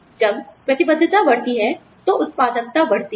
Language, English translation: Hindi, When the commitment goes up, the productivity increases